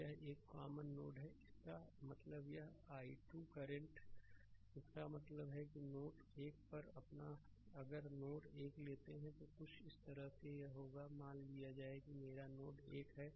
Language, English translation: Hindi, So, this one this is a common node right so; that means, this i 2 current; that means, at node 1 if you take node 1 it will be something like this is if this is suppose my node 1 right